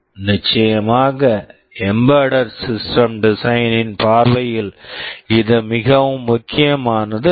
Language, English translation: Tamil, Of course, it is not so much important from the point of view of embedded system design